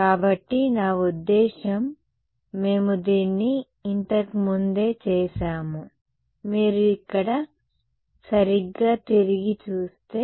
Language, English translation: Telugu, So, I mean we had done this earlier also, if you look back over here right